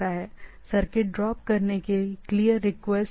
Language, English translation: Hindi, Clear request to drop circuit